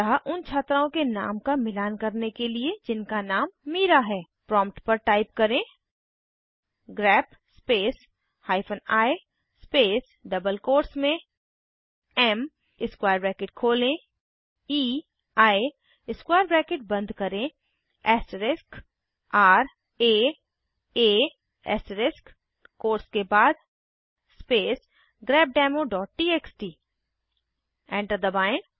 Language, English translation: Hindi, So to match the students name whose name is Mira We type at the prompt: grep space hyphen i space within double quotes m opening square bracket ei closing square bracket asterisk r a a asterisk after the quotes space grepdemo.txt Press Enter